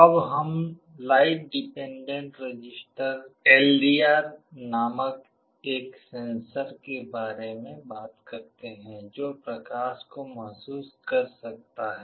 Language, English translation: Hindi, Now, let us talk about a sensor called light dependent resistor that can sense light